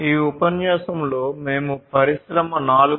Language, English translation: Telugu, So, in the context of Industry 4